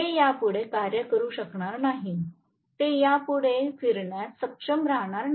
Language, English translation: Marathi, It will not be able to work anymore; it will not be able to rotate anymore